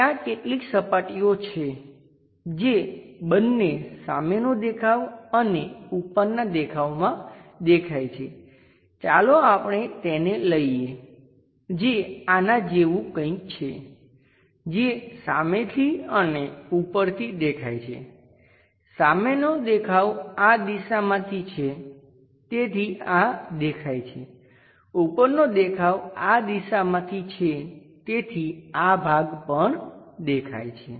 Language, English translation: Gujarati, There are certain surfaces which are visible both on front view and top view, let us pick that something like this one visible from front view on top view, front view is this direction so this is visible, top view is this direction this part also visible